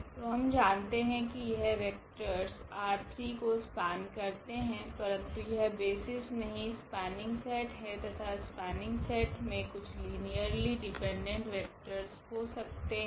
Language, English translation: Hindi, So, we already know that these 4 vectors will span image R 3, but they are they are not the basis because this is this is the spanning set, and spanning set may have some linearly dependent vectors